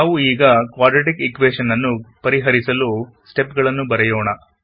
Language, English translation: Kannada, Let us now write the steps to solve a Quadratic Equation